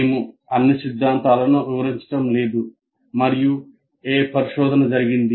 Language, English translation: Telugu, We are not explaining all the theory and what research has been done and all that